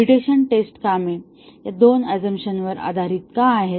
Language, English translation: Marathi, Why mutation testing works are based on these two assumptions